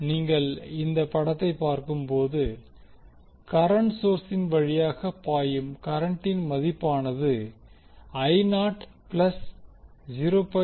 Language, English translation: Tamil, If you see this particular figure the value of current which is flowing through the current source is equal to the I naught plus 0